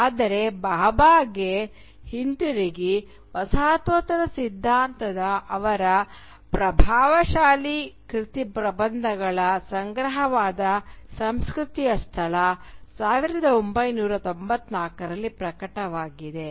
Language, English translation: Kannada, But coming back to Bhabha, his most influential work of postcolonial theory is the collection of essays titled The Location of Culture which was originally published in 1994